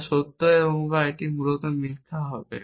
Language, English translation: Bengali, is possibly true or it is necessarily true